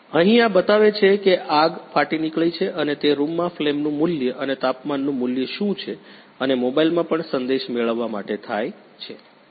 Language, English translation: Gujarati, Here this show that fire broke out and what is the flame value and temperature value of that can that room and also get to also get a message in the mobile